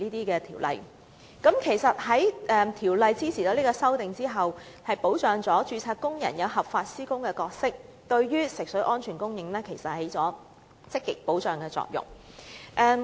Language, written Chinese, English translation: Cantonese, 如《條例草案》的修正案在我們的支持下獲立法會通過，便能確立註冊工人合法施工的角色，並有助保障安全食水的供應。, Registered workers role in lawfully carrying out constructions can be established while supply of water safe for drinking will be guaranteed if with our support the amendments to the Bill are passed by this Council